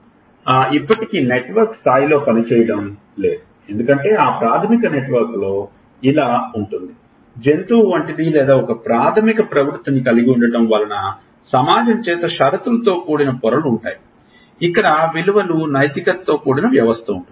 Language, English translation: Telugu, So, just for these reason we still do not function at the network level because, over that basic network of being like a: animal like or having a basic instinct it has layers conditioned by society where value system, where morality, where guilt